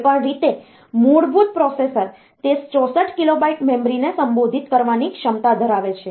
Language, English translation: Gujarati, Anyway so, the basic processor it has got the capability to address 64 kilobyte of memory